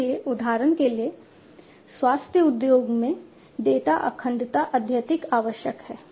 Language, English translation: Hindi, So, for example, in the healthcare industry data integrity is highly essential